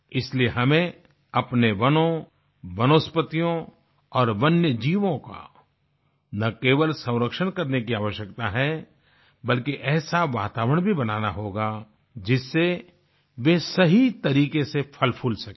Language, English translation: Hindi, Therefore, we need to not only conserve our forests, flora and fauna, but also create an environment wherein they can flourish properly